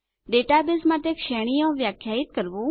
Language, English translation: Gujarati, How to define Ranges for database